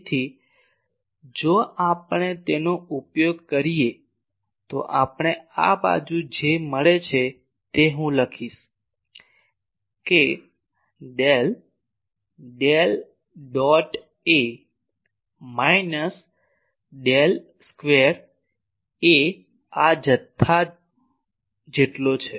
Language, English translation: Gujarati, So, if we use this then what we get in this side I will write that Del Del dot A minus Del square A is equal to this quantity